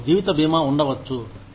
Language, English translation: Telugu, You could have life insurance